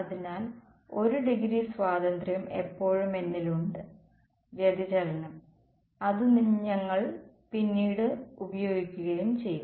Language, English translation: Malayalam, So, 1 degree of freedom is still there with me the divergence which we will sort of exploit later on ok